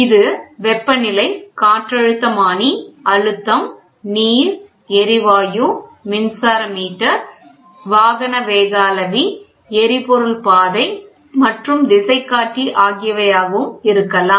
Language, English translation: Tamil, It can be temperature, it can be barometer pressure, water, gas, electric meter, automotive speedometer and fuel gage and compass